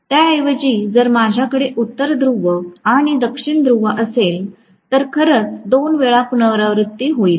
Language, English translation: Marathi, Instead, if I am going to have a North Pole and South Pole, actually repeating itself twice